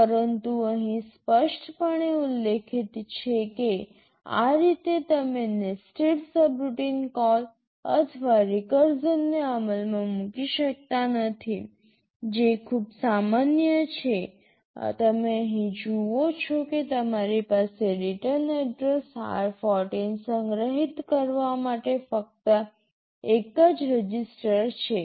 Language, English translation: Gujarati, But it is clearly mentioned here that in this way you cannot implement nested subroutine call or recursion, which is so common; you see here you have only one register to store the return address r14